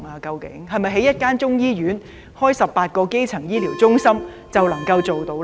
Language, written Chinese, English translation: Cantonese, 是否興建中醫院，設立18個基層醫療中心便能做到呢？, Can this be achieved simply by setting up a Chinese medicine hospital and 18 District Health Centres?